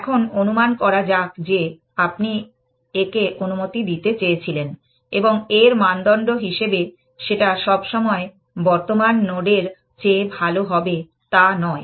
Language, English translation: Bengali, Now, supposing we wanted to allow this, that always go to the best neighbor, which the criteria that you it does not have to be better than the current node